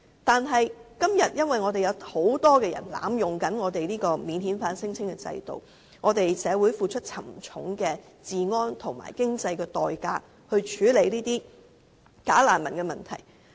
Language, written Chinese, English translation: Cantonese, 但是，現在因為有很多人濫用免遣返聲請制度，社會要付出沉重的治安及經濟代價，以處理假難民問題。, However since many people are abusing the existing system for lodging non - refoulement claims the society has to pay a hefty price in terms of law and order as well as in financial terms for handling the issue of bogus refugees